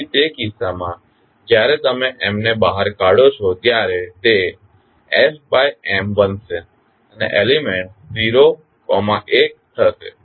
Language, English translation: Gujarati, So, in that case when you take M out it will become f by M and the elements will be 0, 1